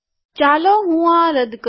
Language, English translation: Gujarati, Let me delete this